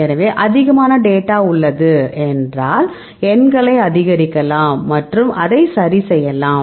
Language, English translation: Tamil, So, you have more number of data and you can increase a numbers and do that ok